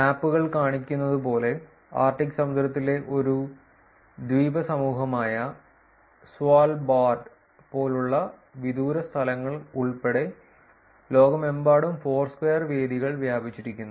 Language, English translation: Malayalam, As the maps show, Foursquare venues are spread all over the world including remote places such as Svalbard, an archipelago in the Arctic Ocean